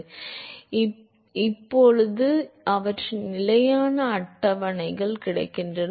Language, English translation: Tamil, So, now their standard tables available for